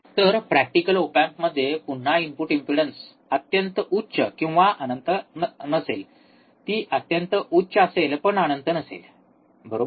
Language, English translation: Marathi, So, practical op amp again input impedance would be not extremely high or not in finite, it would be extremely high, right not infinite